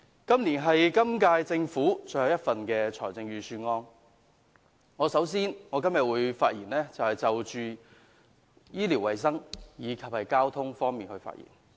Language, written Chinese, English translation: Cantonese, 這是今屆政府最後一份預算案，首先，我會就醫療衞生和交通發言。, This is the last Budget of the current Government . First I would like to speak on health care and transport